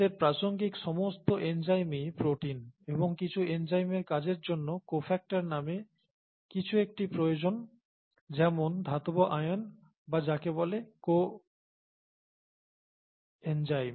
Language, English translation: Bengali, All enzymes of relevance to us are proteins and some enzymes require something called a cofactor, such as metal ions or what are called coenzymes for their action, okay